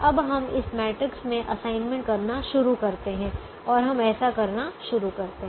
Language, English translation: Hindi, now we can start making assignments in this matrix and we will start doing that